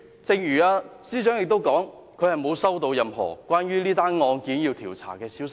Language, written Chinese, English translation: Cantonese, 正如司長所說，她沒有接獲任何關於這宗案件要進行調查的消息。, As the Chief Secretary has said she has never received any news about the conduct of an investigation into the incident